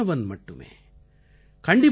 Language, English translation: Tamil, I am merely a practitioner